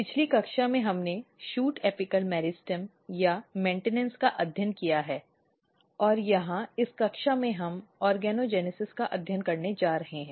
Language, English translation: Hindi, So, in the last class if I recap we have studied shoot apical meristem or maintenance and here in this class we are going to study organogenesis